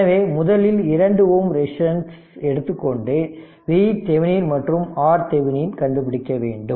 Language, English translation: Tamil, So, we have to take it off first 2 ohm resistance right and you have to find out R Thevenin and V Thevenin